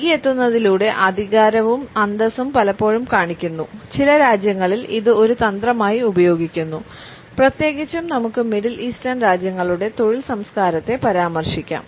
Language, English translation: Malayalam, Power and dignity are often shown by arriving late and it is also used as a tactic in certain countries particularly we can refer to the work culture of the Middle Eastern countries